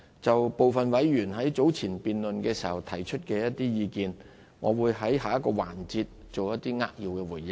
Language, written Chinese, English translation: Cantonese, 就部分委員早前辯論的時候提出的意見，我會在下一個環節作出一些扼要的回應。, Regarding the views expressed by some Members during the earlier debate I will give a concise response in the next session